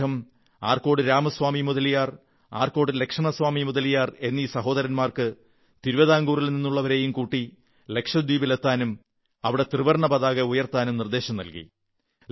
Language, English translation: Malayalam, He urged the Mudaliar brothers, Arcot Ramaswamy Mudaliar and Arcot Laxman Swamy Mudaliar to immediately undertake a mission with people of Travancore to Lakshadweep and take the lead in unfurling the Tricolour there